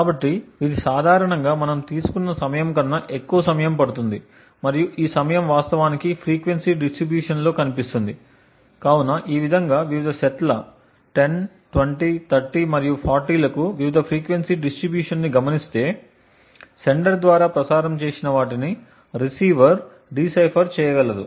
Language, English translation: Telugu, So, this would typically take longer which we have timed and this timing would actually show up in the frequency distribution, so in this way observing the various frequency distribution for the various sets 10, 20, 30 and 40 the receiver would be able to decipher whatever has been transmitted by the sender